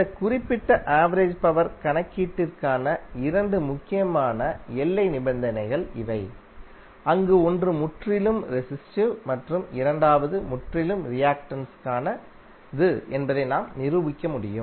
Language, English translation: Tamil, So these are the two important boundary conditions for this particular average power calculation, where you can demonstrate that one is for purely resistive and second is for purely reactive